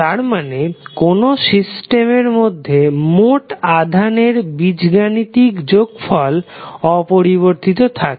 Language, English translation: Bengali, That means that the algebraic sum of charges within a particular system cannot change